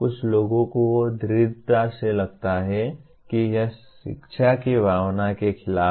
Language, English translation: Hindi, Some people strongly feel it is against the spirit of education itself